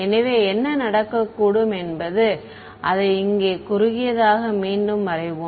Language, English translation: Tamil, So, then what can happen is let us redraw it over here shorter